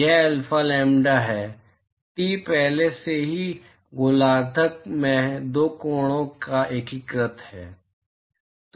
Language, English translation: Hindi, It is alpha lambda,T is already integrated over the two angles in the hemisphere right